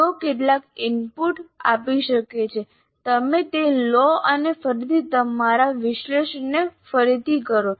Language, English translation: Gujarati, And then if they may give some inputs, you make that and again redo, redo your analysis